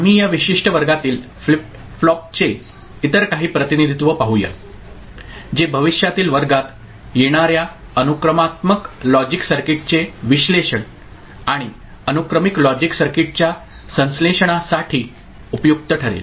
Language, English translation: Marathi, We shall look at some other representation of flip flop in this particular class, which will be useful for analysis of sequential logic circuit and synthesis of sequential logic circuit which will come up in future classes